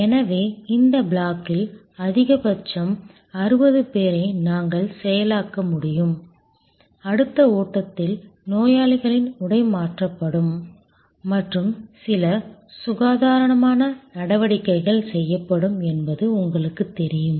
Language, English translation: Tamil, So, which means at the most we can process 60 people in this block, in the next flow where there may be you know the patients dress will be changed and certain hygienic steps will be done